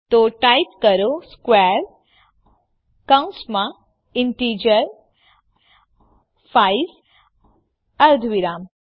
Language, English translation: Gujarati, So type square within parentheses an integer 5, semicolon